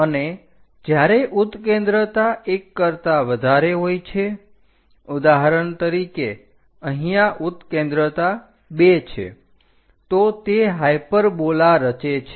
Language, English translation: Gujarati, And when eccentricity is greater than 1 for example like 2 eccentricity here, it construct a hyperbola